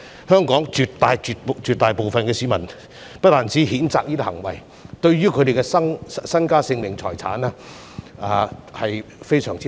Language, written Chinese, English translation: Cantonese, 香港絕大部分市民皆譴責這些行為，並很擔心他們的身家、性命和財產。, A vast majority of Hong Kong people have condemned these acts and are very worried about their wealth life and property